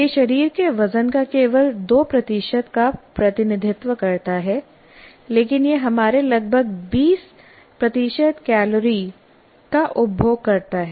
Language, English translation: Hindi, It represents only 2% of the body weight, but it consumes nearly 20% of our calories